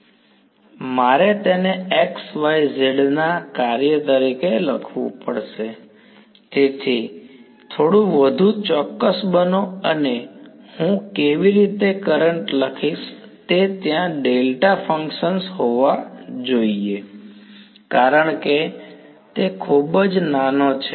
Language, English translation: Gujarati, I have to write it as a function of xyz; so, be little bit more precise and how I write the current has to be there have to be delta functions because it is very very small right